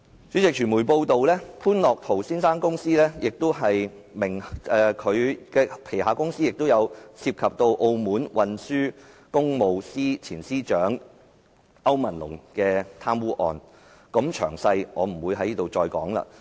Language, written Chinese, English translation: Cantonese, 主席，傳媒報道，潘樂陶先生名下公司曾涉及澳門運輸工務司前司長歐文龍的貪污案，詳情不贅。, President it has been reported by the media that a certain company under Mr Otto POON is involved with the corruption case of AO Man - long former Secretary for Transport and Public Works of Macao . I will spare the details here